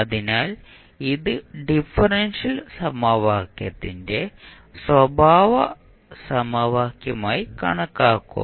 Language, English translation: Malayalam, So, this will be considered as a characteristic equation of the differential equation